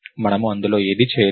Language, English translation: Telugu, We didn't do any of that